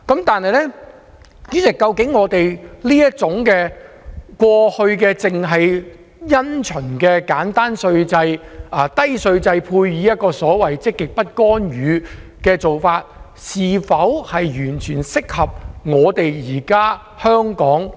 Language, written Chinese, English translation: Cantonese, 但是，主席，究竟過去這種因循的簡單低稅制，配合積極不干預政策，是否完全適合今天的香港？, Nevertheless Chairman is this conservative simple and low tax regime coupled with the positive non - intervention policy most suitable for Hong Kong today?